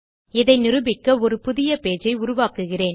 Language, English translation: Tamil, To prove this Ill create a new page